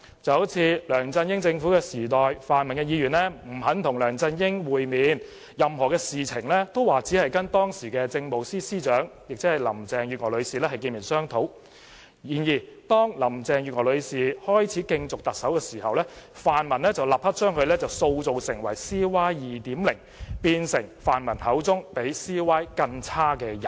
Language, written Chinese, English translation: Cantonese, 舉例而言，在梁振英政府時代，泛民議員不肯與梁振英會面，說任何事情也只會跟當時的政務司司長，即林鄭月娥女士見面商討，但當林鄭月娥女士開始競逐特首時，泛民議員便立刻把她塑造成 "CY 2.0"， 變成他們口中比 CY 更差的人。, For example in the LEUNG Chun - ying era the pan - democrats refused to meet with LEUNG Chun - ying saying that they would only meet and discuss with the then Chief Secretary for Administration Mrs Carrie LAM . But when Mrs Carrie LAM started to run in the Chief Executive election the pan - democrats immediately turned her into C Y 2.0 which was even inferior to C Y